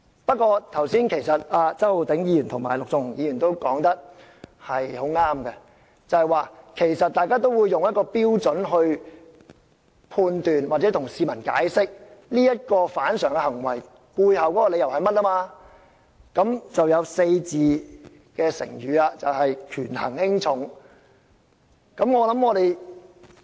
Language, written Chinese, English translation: Cantonese, 不過，周浩鼎議員及陸頌雄議員說得很正確，議員會用一個準則來作判斷或向市民解釋這種反常行為的背後理由，於是就出現了"權衡輕重"這個4字。, However Mr Holden CHOW and Mr LUK Chung - hung are right in saying that Members will adopt a criterion to make judgments or explain the abnormal behaviour to the public and so we have heard Members mention weighing the priorities